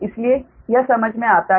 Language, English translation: Hindi, so it is understandable, right